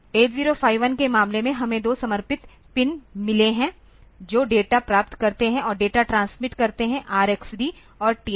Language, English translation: Hindi, In case of 8051; we have got two dedicated pins receive data and transmit data R x D and T x D